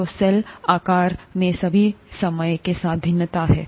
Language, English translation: Hindi, So there is variation with time in the cell size also